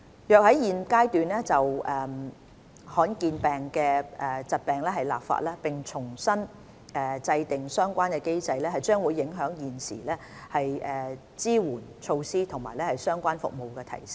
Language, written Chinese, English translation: Cantonese, 如果在現階段就罕見疾病立法，並重新制訂相關機制，將會影響現時的支援措施及相關的服務提升。, At the present stage if legislation is enacted in relation to uncommon disorders and the relevant mechanism is formulated afresh it will affect the enhancement of existing support measures and the relevant services